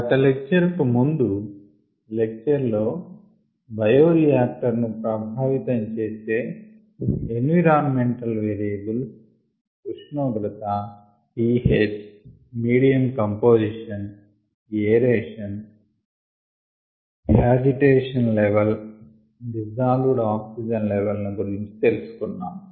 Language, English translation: Telugu, in ah hm the lecture before that, we have looked at ah certain bioreactor environment variables that effect bioreactive performance, such as temperature, ph, ah, medium composition, agitation, aeration levels and dissolved oxygen levels